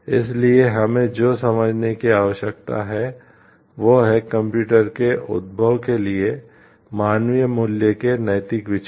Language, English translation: Hindi, So, what we have to understand is the way the moral considerations of human cost attach to the emergence of computers